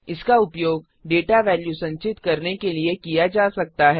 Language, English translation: Hindi, It may be used to store a data value